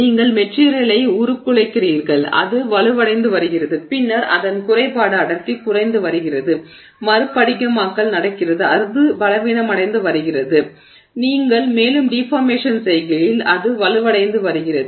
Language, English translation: Tamil, So, the material is you know you are deforming it, it is becoming stronger than it is defect density is decreasing, recrystallization is happening, it is becoming weaker, you deform more, become stronger